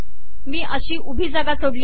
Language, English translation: Marathi, So I have left this vertical space